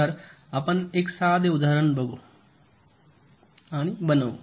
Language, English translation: Marathi, i am giving a very simple example